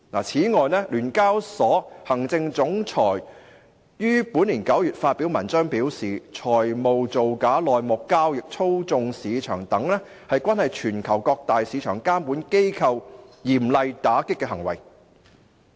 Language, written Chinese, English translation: Cantonese, 此外，聯交所行政總裁於本年9月發表文章表示，財務造假、內幕交易、操縱市場等均是全球各大市場監管機構嚴厲打擊的行為。, Besides in an article published in September this year the Chief Executive of SEHK said that acts involving fraudulent financial reports insider trading market manipulation etc . are stringently combated by various major stock market regulators worldwide